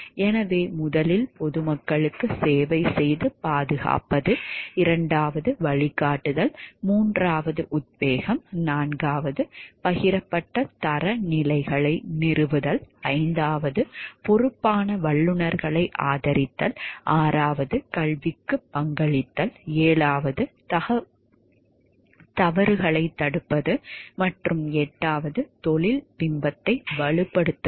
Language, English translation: Tamil, So, first is serving and protecting the public, second is providing guidance, third offering inspiration, fourth establishing shared standards, fifth supporting responsible professionals, sixth contributing to education, seventh deterring wrongdoing and eighth strengthening a professions image